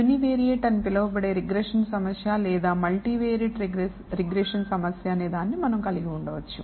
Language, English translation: Telugu, We can have what is called a Univariate 2 regression problem or a multivariate regression problem